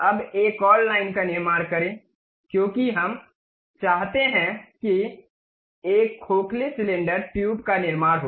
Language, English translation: Hindi, Now, construct another line, because we would like to have a hollow cylinder tube construct that